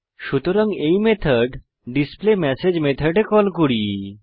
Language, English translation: Bengali, Now let us call the method displayMessage